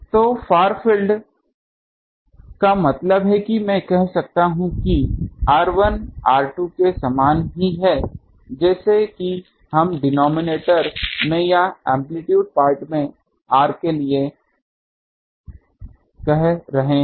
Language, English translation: Hindi, So, far field means that I can say r 1 is same as r 2 same as let us say r for in the denominator or amplitude part not here